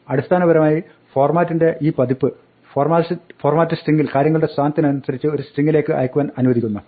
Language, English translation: Malayalam, Essentially, this version of format allows us to pass things into a string by their position in the format thing